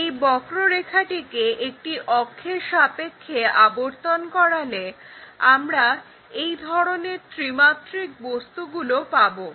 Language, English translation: Bengali, So, you pick a curve rotate that curve around an axis, then we will get this three dimensional objects